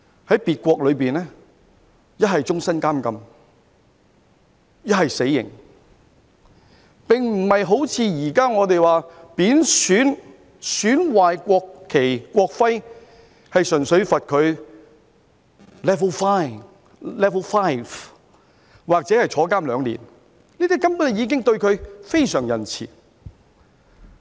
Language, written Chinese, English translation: Cantonese, 在別國，一則終生監禁，一則死刑，並不是好像現時我們說貶損、損壞國旗、國徽，純粹判他 level 5罰款或入獄兩年，這根本已經對他非常仁慈。, Unlike our present approach where in which people who disrespect or damage the national flag or national emblem will only be liable to a fine at level 5 or imprisonment for two years their actions can result in life imprisonment or even death penalty in other countries . We are already very lenient to them